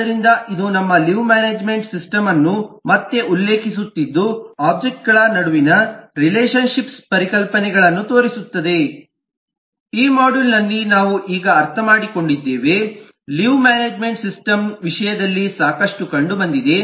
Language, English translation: Kannada, so this was just, eh, referring back to our leave management system, to show that, eh, the concepts of relationship amongst objects that we have just understood in this module are can be found out, found plenty in terms of a leave management system